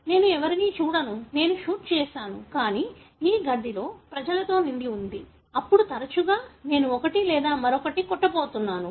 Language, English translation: Telugu, I don’t see anybody, I shoot; but this room is full of people, then, more often than not I am going to hit one or the other